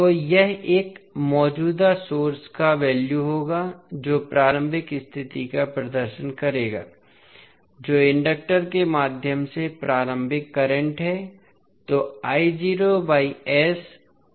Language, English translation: Hindi, So, this will the value of a current source that will represent the initial condition that is initial current flowing through the inductor